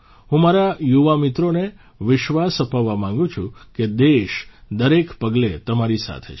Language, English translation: Gujarati, I want to assure my young friends that the country is with you at every step